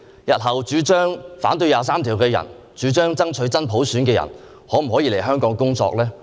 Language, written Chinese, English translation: Cantonese, 日後主張反對《基本法》第二十三條或主張爭取真普選的人，是否可以來港工作呢？, Can those who object to the enactment of legislation for Article 23 of the Basic Law or advocate fighting for genuine universal suffrage come to Hong Kong for work?